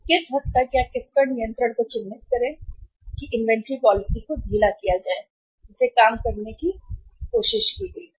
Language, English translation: Hindi, To what extent or to what mark the control upon the inventory policy should be loosened that was tried to be worked out